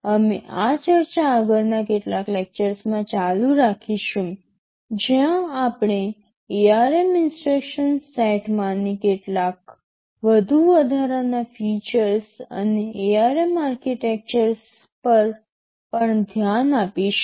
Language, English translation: Gujarati, We shall be continuing this discussion over the next couple of lectures where we shall be looking at some of the more additional features that are there in the ARM instruction set and also the ARM architectures